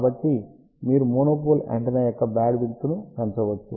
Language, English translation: Telugu, So, you can increase the bandwidth of the monopole antenna